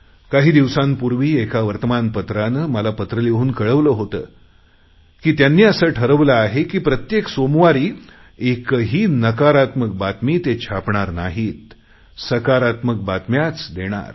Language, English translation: Marathi, Some days back a newspaper had written a letter to me saying that they had decided that on Mondays they would not give any negative news but only positive news